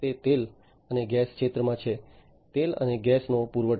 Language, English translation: Gujarati, It is in the oil and gas sector, supply of oil and gas